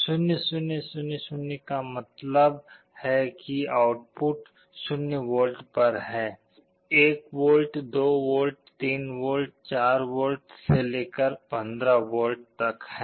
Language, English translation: Hindi, 0 0 0 0 means output is 0 volts, 1 volt, 2 volts, 3 volts, 4 volts, up to 15 volts